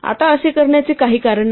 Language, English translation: Marathi, Now there is no reason to do this